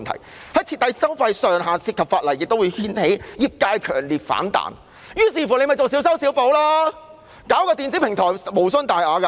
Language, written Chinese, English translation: Cantonese, 如要設定收費上限，會涉及法例修訂，也會掀起業界強烈反彈。於是，政府便作小修小補，設立電子平台無傷大雅。, As setting a ceiling on the fees payable would involve legislative amendment resulting in backlash from the industry the Government thus proposed a patchy fix of establishing a centralized electronic platform which has insignificant impact